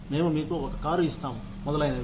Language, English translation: Telugu, We will give you a car etc